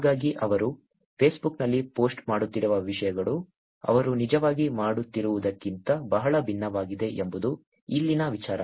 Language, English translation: Kannada, So, the idea here is that the things that he is posting on Facebook is very different from what he is actually doing